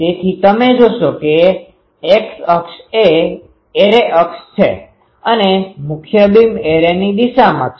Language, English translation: Gujarati, So, you see x axis is the array axis and the main beam is along the array ok